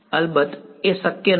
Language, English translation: Gujarati, Of course, that is not possible